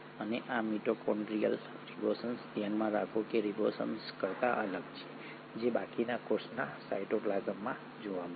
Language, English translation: Gujarati, And these mitochondrial ribosomes are, mind you, are different from the ribosomes which will be seen in the cytoplasm of the rest of the cell